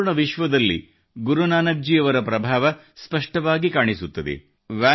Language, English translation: Kannada, The world over, the influence of Guru Nanak Dev ji is distinctly visible